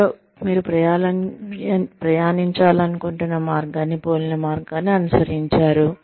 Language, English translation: Telugu, Somebody, who has adopted a path, similar to the one, you want to travel on